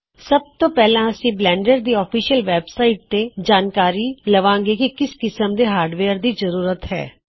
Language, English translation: Punjabi, First Up, we shall look at what the official Blender website has to say about the hardware requirements